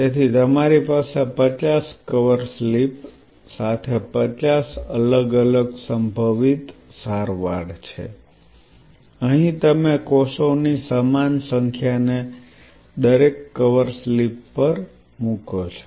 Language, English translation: Gujarati, So, you are having some 50 cover slips with five different possible treatment out here you what you do you plate equal number of cells and all of them on each cover slips